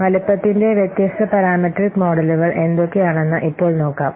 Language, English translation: Malayalam, Now let's see what are the different parametric models for size